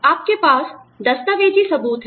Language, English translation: Hindi, You have documentary evidence